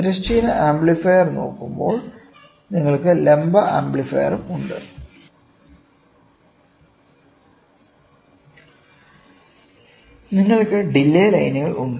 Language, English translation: Malayalam, When you look at the horizontal amplifier you also have vertical amplifier you also have delay lines